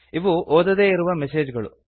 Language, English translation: Kannada, These are the unread messages